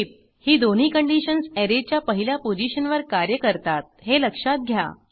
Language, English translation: Marathi, Note: Both these functions works at first position of an Array